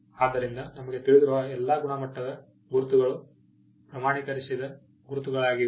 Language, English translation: Kannada, So, all the quality marks that we know are certification mark